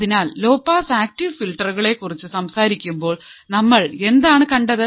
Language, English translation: Malayalam, So, when you talk about the low pass active filters what have we seen